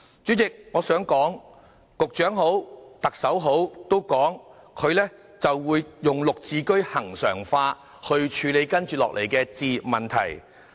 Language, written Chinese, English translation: Cantonese, 主席，無論局長或特首都表示會將"綠置居"恆常化，去處理接下來的置業問題。, President both the Secretary and the Chief Executive mentioned regularizing the Green Form Subsidised Home Ownership Scheme GSH to tackle home ownership issues